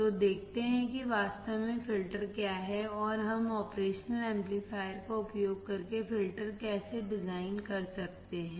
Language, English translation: Hindi, So, let us see what exactly filters are and how can we design the filters using the operational amplifier